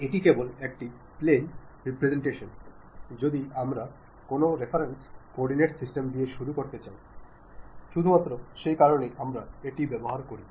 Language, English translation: Bengali, It is just a plane representation whether we would like to begin it to give a reference coordinate system, for that purpose only we use